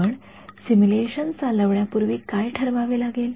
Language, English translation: Marathi, What do you have to decide before you run the simulation